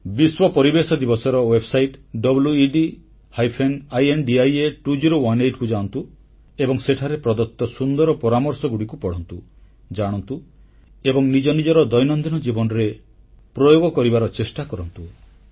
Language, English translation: Odia, Let us all visit the World Environment Day website 'wedindia 2018' and try to imbibe and inculcate the many interesting suggestions given there into our everyday life